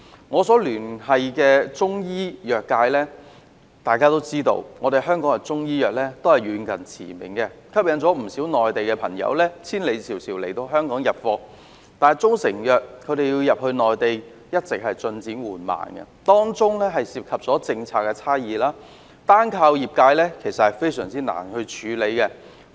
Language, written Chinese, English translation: Cantonese, 我一直與中醫藥界保持聯繫，大家都知道，香港的中醫藥遠近馳名，吸引不少內地朋友千里迢迢來港入貨，但中成藥進入內地的進展十分緩慢，當中涉及政策差異，單靠業界難以處理。, I have maintained liaison with the Chinese medicine industry . As we all know Hong Kong is renowned for our Chinese medicines which have attracted many people to travel a long way from the Mainland to buy in Hong Kong . However very slow progress has been made in the entry of proprietary Chinese medicines into the Mainland due to policy differences which can hardly be resolved by the industry practitioners alone